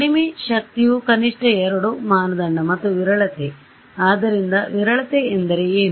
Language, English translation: Kannada, Least energy is minimum 2 norm and sparsity; so, what is sparsity means